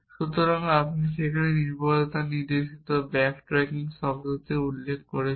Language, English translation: Bengali, So, we had mention the term dependency directed back tracking there